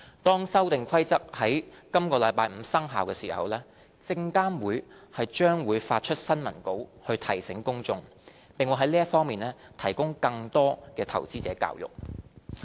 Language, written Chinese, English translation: Cantonese, 當《修訂規則》於本周五生效時，證監會將發出新聞稿以提醒公眾，並會在這方面提供更多的投資者教育。, SFC will also issue a press release to remind the public of the same when the Amendment Rules become effective this Friday and will provide more investor education in this regard